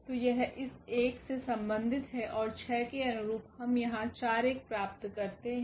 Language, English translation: Hindi, So, that is corresponding to this one, and corresponding to 6 we will get here 4 1